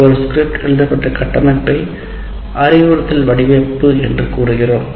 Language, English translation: Tamil, And the framework within which a script is written is called instruction design